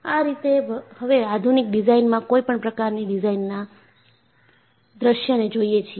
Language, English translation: Gujarati, That is how, now, modern design looks at any design scenario